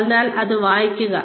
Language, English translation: Malayalam, So, read this